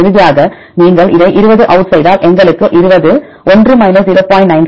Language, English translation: Tamil, Then finally, if you take this out 20 out then we will get 20 (1 0